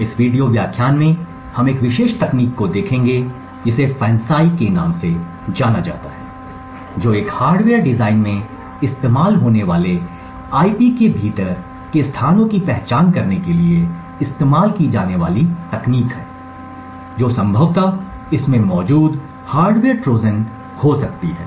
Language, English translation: Hindi, In this video lecture we will be looking at a particular technique known as FANCI, which is a technique used to identify locations within IP used in a hardware design which could potentially have a hardware Trojan present in it